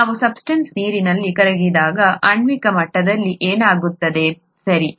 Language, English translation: Kannada, What happens at a molecular level when a substance dissolves in water, okay